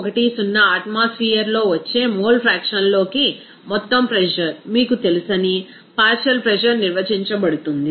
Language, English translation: Telugu, So, partial pressure also actually is defined as that you know total pressure into its mole fraction that will be coming as 0